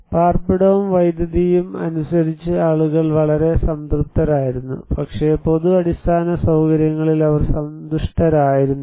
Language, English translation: Malayalam, People were very satisfied as per the shelter and electricity, but they were not happy with the public infrastructure